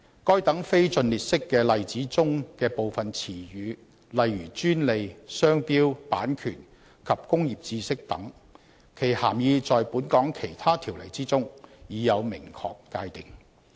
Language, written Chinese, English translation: Cantonese, 該等非盡列式的例子中的部分詞語，例如"專利"、"商標"、"版權"及"工業知識"等，其涵義在本港其他條例之中已有明確界定。, Some of the terms in the non - exclusive list such as patent trade mark copyright and know - how etc are specifically defined in different Ordinances in Hong Kong